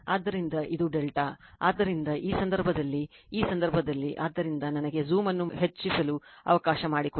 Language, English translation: Kannada, So, this is delta, so in this case in this case, so let me let me let me eh just increase the zoom